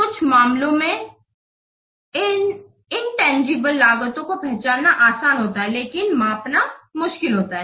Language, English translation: Hindi, In some cases these intangible costs are easy to identify but difficult to measure